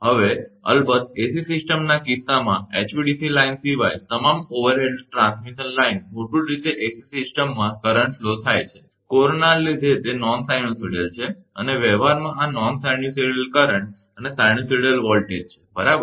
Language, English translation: Gujarati, Now, in case of AC system of course, all the overhead transmission line apart from hvdc line, basically all are ac system current flow, due to corona is non sinusoidal and in practice this non sinusoidal current and non sinusoidal voltage, right